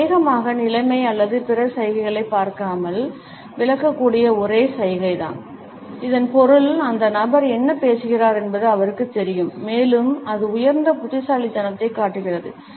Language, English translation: Tamil, This is probably the only gesture that can be interpreted without looking at the situation or other gestures, it means that the person knows what he is talking about and it shows high intellect